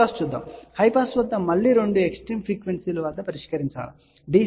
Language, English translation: Telugu, Let us look at a high pass; at high pass again test at two extreme frequencies DC which is omega equal to 0